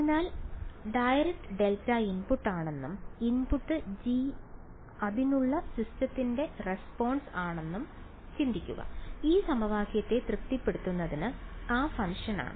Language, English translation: Malayalam, So, just think of it like that yeah direct delta is a input and g is the response of the system to it ok, it is that function which satisfies this equation right